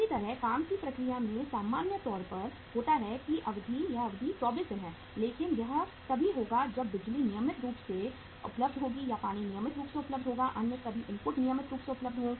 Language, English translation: Hindi, Similarly, work in process normally it is the duration is 24 days but that will happen only if the power is regularly available or the water is regularly available, all other inputs are regularly available